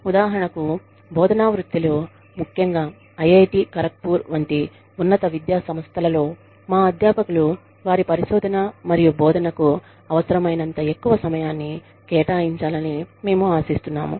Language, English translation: Telugu, For example, in the teaching profession, especially in institutes of higher education like, IIT, Kharagpur, we expect our faculty, to devote as much time, as is necessary, to their research and teaching